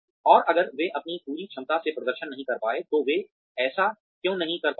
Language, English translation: Hindi, And, if they have not been able to perform to their fullest potential, why they have not been able to do so